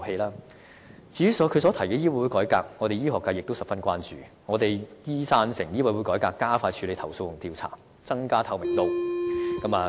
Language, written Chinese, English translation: Cantonese, 對於她提出的醫委會改革，醫學界也是十分關注的。我們贊成醫委會改革以加快處理投訴和調查，增加透明度。, With respect to Medical Council reform the medical sector cares very much about the issue in which we support the reform for the purpose of speeding up complaints handling and investigation process as well as improving transparency